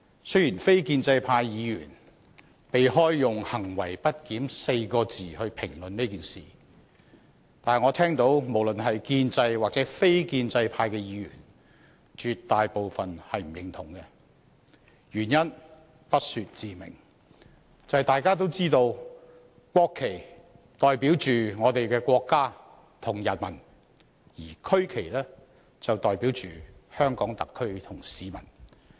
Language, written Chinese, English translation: Cantonese, 雖然非建制派議員避開以"行為不檢 "4 個字評論此事，但我聽到無論是建制或非建制派議員，絕大部分均不表認同，原因不說自明，便是大家也知道國旗代表我們的國家和人民，而區旗則代表香港特區和市民。, Although the non - establishment Members try to evade describing it as misbehaviour when commenting on this issue I have heard that most of the Members be it establishment or non - establishment do not approve of such acts . The reason is explicit that is we all know that the national flag represents our country and people while the regional flag represents the Hong Kong Special Administrative Region SAR and members of the public